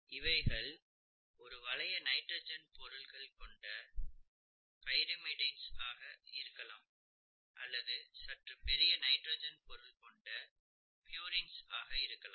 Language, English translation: Tamil, You could have pyrimidines which are these one ring nitrogenous substances and purines which are slightly bigger nitrogenous substances, okay